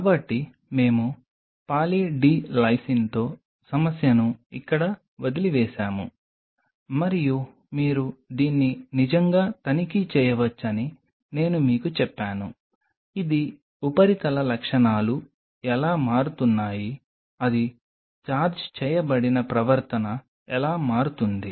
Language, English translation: Telugu, So, we left the problem here With Poly D Lysine and I told you that you can really check it out that, how it is surface properties are changing, how it is charged behavior will change